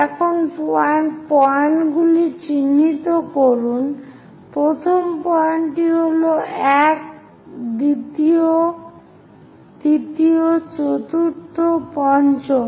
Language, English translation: Bengali, Now, mark the points, first point this is the one, second, third, fourth, fifth, and this